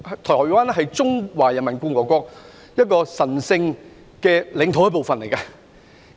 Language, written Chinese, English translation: Cantonese, 台灣是中華人民共和國神聖領土的一部分。, Taiwan is part of the sacred territory of the Peoples Republic of China